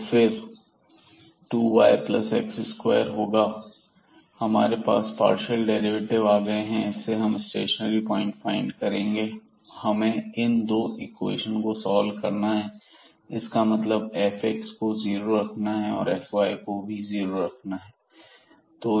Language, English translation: Hindi, So, here 2 y and plus x square, so we have the partial derivative and to get the stationary points, so we need to solve these 2 equations; that means, the f x is equal to 0 and this f y is equal to 0